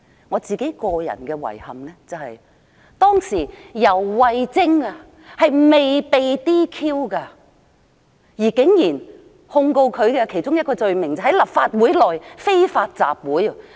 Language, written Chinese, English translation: Cantonese, 我的遺憾是，當時游蕙禎尚未被 "DQ"， 而控告她的其中一個罪名竟然是在立法會內非法集會。, My regret is that before YAU was disqualified one of the charges brought against her was unlawful assembly within the Council